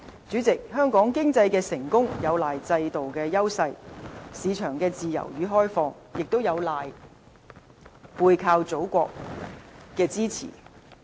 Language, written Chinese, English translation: Cantonese, 主席，香港經濟成功有賴制度的優勢、市場的自由與開放，也有賴背靠祖國的支持。, President Hong Kongs economic success relies largely on the advantages brought by our system as well as a free and open market . The support offered by the Motherland is another factor of our achievements